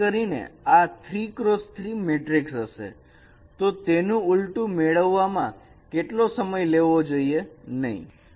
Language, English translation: Gujarati, Particularly since it is a 3 cross 3 matrix, it should not take that much of time to get an inversion